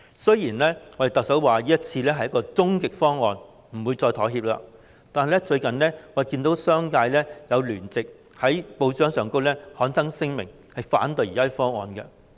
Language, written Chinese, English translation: Cantonese, 雖然特首表明這是終極方案，不會再妥協，但我們最近卻看到商界在報章聯名刊登聲明，反對現時的方案。, Although the Chief Executive has indicated that this is the ultimate solution and the Government will not compromise again we have recently seen the business sector co - sponsoring a statement in the newspapers against the current proposal